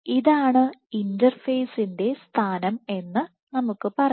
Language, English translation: Malayalam, So, let us say this is the position of the interface